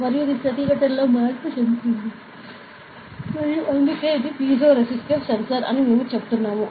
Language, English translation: Telugu, And this will goes the change in resistance and that is why we are saying that this is piezoresistive sensor